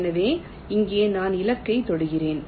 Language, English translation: Tamil, so here i touch the target